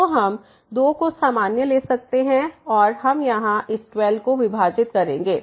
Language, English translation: Hindi, So, the 2 we can take common and we will divide to this 12 here